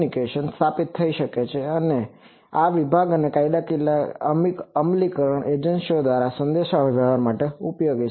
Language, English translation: Gujarati, Then communication by fire department and law enforcement agencies etc